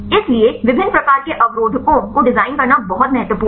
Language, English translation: Hindi, So, it is very important to design different types of inhibitors